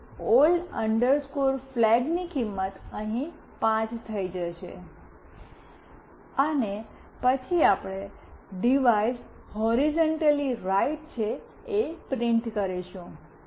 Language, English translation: Gujarati, So, old flag value will become 5 here, and then we print the “Device is horizontally right”